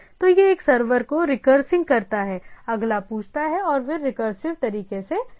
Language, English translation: Hindi, So, it go on recursing one in server asks the next and go on recursive way